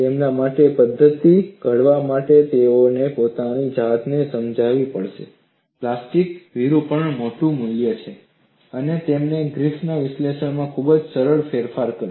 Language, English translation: Gujarati, For them to formulate the methodology, they have to convince that there is large value of plastic deformation, and he made a very simple modification to Griffith’s analysis